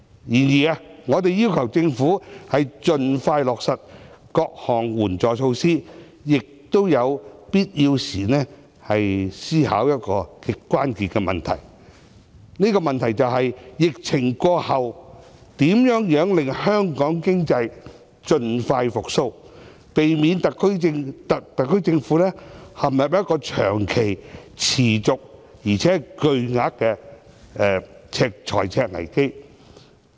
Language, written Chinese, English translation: Cantonese, 然而，我們要求政府盡快落實各項援助措施的同時，亦要求當局思考一個極令人關注的問題，便是在疫情過後，如何令香港經濟盡快復蘇，避免特區政府陷入長期、持續且巨額的財赤危機。, However besides urging the Government to implement various support measures as soon as possible we also ask it to consider an issue of grave concern ie . how to boost economic recovery of Hong Kong after the subsidence of the epidemic so that the SAR Government will not suffer from long - term persistent and huge budget deficits